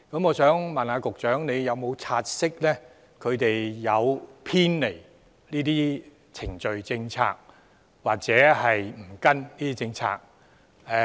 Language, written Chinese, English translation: Cantonese, 我想問，局長有否察悉他們曾偏離程序及政策，或沒有依循政策？, I would like to ask Is the Secretary aware that it has deviated from the procedures and policies or failed to follow the policies?